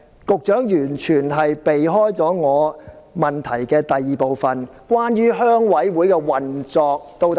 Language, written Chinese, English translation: Cantonese, 局長完全迴避我主體質詢的第二部分，關於鄉事會的運作。, The Secretary has completely evaded part 2 of my main question about the operation of RCs